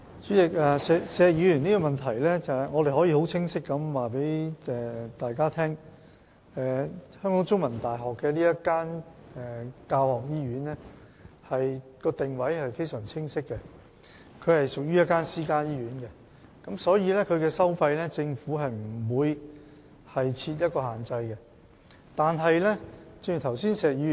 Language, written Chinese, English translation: Cantonese, 主席，關於石議員的補充質詢，我可以很清晰地告訴大家，中大轄下這間教學醫院的定位非常清晰，是屬於私營醫院，因此政府不會就該醫院的收費設下限制。, President in reply to Mr Abraham SHEKs supplementary question I can clearly tell Members that the teaching hospital of the CUHK is clearly a private hospital . Thus the Government will not place any restrictions on its charges